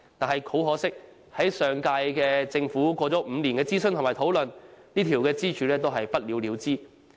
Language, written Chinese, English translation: Cantonese, 很可惜，上屆政府經過5年諮詢和討論，這根支柱仍是不了了之。, Regrettable despite five years of consultation and discussion the previous - term Government took no action to establish this pillar